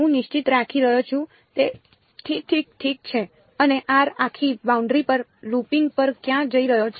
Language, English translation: Gujarati, I am keeping fixed r prime is fixed right and where is or going over the looping over the entire boundary